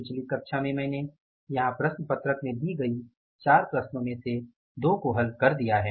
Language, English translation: Hindi, In the previous class I solved two out of the four problems given in the sheet here, problem sheet here